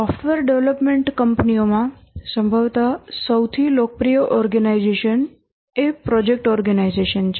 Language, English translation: Gujarati, Possibly the most popular organization in software development companies is the project organization